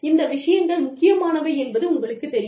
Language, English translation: Tamil, You know, these things are important